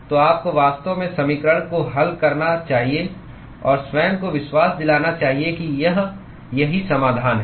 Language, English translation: Hindi, So, you should actually solve the equation and convince yourself that this is the correct solution